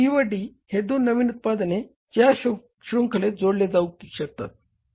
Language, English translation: Marathi, But C and D are the new products added in the series